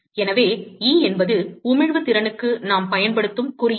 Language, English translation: Tamil, So, E is the symbol that we will use for emissive power